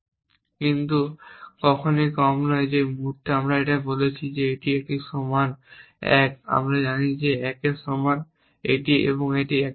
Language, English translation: Bengali, But never the less the what the moment we have said this a a equal to 1 we know that this is equal to 1 and this equal to 1